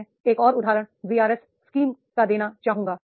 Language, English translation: Hindi, Another example I would like to give that the VRS scheme